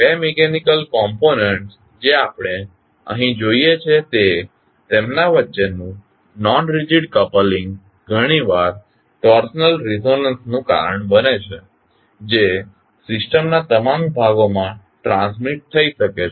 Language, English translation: Gujarati, The non rigid coupling between two mechanical components which we see here often causes torsional resonance that can be transmitted to all parts of the system